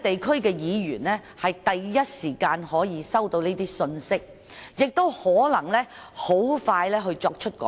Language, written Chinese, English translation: Cantonese, 區議員第一時間收到這些信息，也可能可以盡快作出改善。, Urban Councillors received such information the earliest and might be capable of making improvements expeditiously